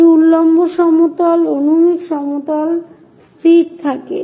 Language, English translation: Bengali, This vertical plane, horizontal plane remains fixed